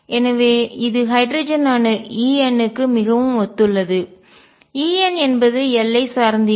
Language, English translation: Tamil, So, this is quite a coincidence for hydrogen atom E n does not depend on l